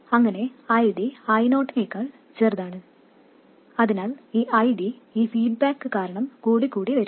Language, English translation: Malayalam, So this ID will go on increasing because of this feedback